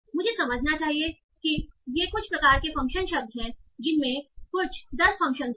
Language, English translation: Hindi, So I should understand that these are some sort of function words